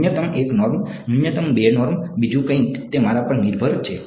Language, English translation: Gujarati, Minimum 1 norm, minimum 2 norm something else, it's up to me